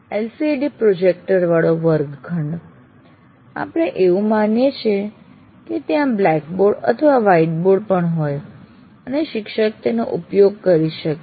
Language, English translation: Gujarati, Coming to the classroom with LCD projector, we assume there is also a board, a blackboard or a white board, the teacher can make use of it